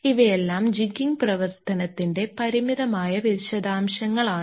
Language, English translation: Malayalam, These are all finite details of the jigging operation